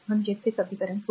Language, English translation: Marathi, So, equation 3 that is 2